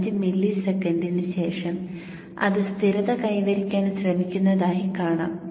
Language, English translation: Malayalam, 5 milliseconds almost it is trying to reach stable point